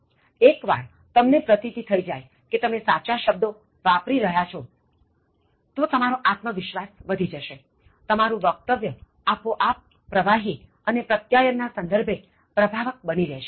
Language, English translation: Gujarati, Once you know that you are using the right word, your confidence level will increase, your speech will automatically become fluent, as well as effective in terms of communication